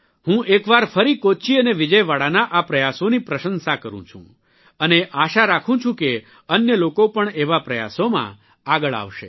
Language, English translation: Gujarati, I once again applaud these efforts of Kochi and Vijayawada and hope that a greater number of people will come forward in such efforts